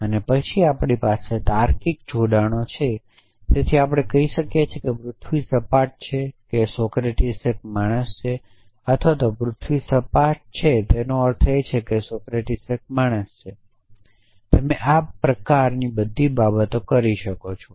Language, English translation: Gujarati, And then off course, we have logical connectives so we can say the earth is flat or Socrates is a man or the earth is flat implies that Socrates is a man you can do all these kind of things